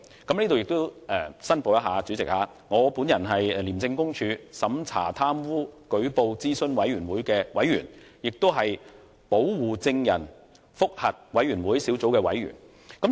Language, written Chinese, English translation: Cantonese, 主席，我在此申報，我是廉署審查貪污舉報諮詢委員會的委員，亦是保護證人覆核委員會小組的委員。, President I hereby declare that I am a member of both the Operations Review Committee and the Panel of the Witness Protection Review Board of ICAC